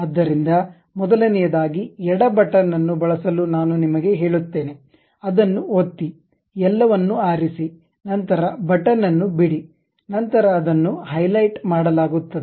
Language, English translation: Kannada, So, first of all I have selected you use left button, click that hold select everything, then leave the button then it will be highlighted